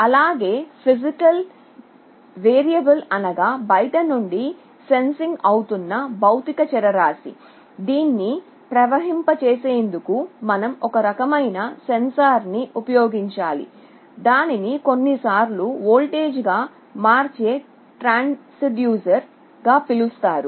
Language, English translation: Telugu, The physical variable that you are sensing from outside, you need to use some kind of a sensor, it is sometimes called a transducer to convert it into a voltage